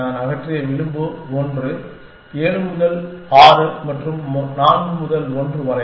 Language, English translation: Tamil, The edge that I have removed is 1 from 7 to 6 and 4 to 1